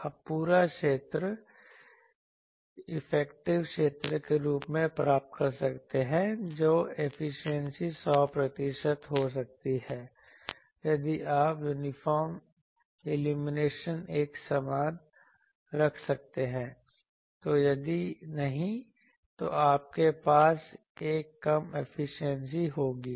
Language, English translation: Hindi, You can get the full area as the full effective area that efficiency to be 100 percent if you have uniform illumination; if not, then you will have to have a reduced efficiency